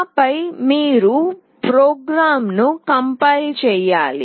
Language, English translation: Telugu, And then you have to compile the program